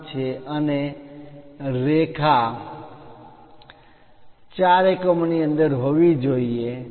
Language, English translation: Gujarati, 5 and the line has to be within 4